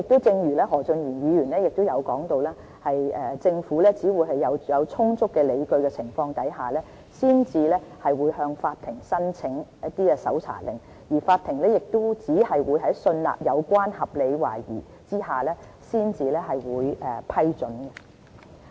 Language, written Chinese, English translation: Cantonese, 正如何俊賢議員提到，政府只會在有充足理據下，才會向法庭申請搜查令，而法庭亦只會在信納有關合理懷疑下才會批准。, As mentioned by Mr Steven HO the Government will only apply for search warrants on sufficient grounds and the court will grant such warrants only when it is satisfied that there is reasonable suspicion